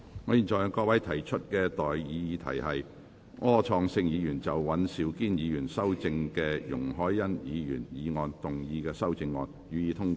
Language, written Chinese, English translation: Cantonese, 我現在向各位提出的待議議題是：柯創盛議員就經尹兆堅議員修正的容海恩議員議案動議的修正案，予以通過。, I now propose the question to you and that is That Mr Wilson ORs amendment to Ms YUNG Hoi - yans motion as amended by Mr Andrew WAN be passed